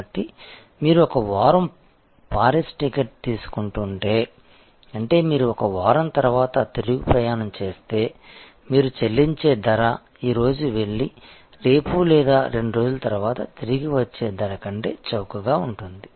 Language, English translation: Telugu, So, if you are taking a ticket for Paris for a week; that means, you retuning after 1 week the price is most likely to be cheaper than a price which is you go today and comeback tomorrow or 2 days later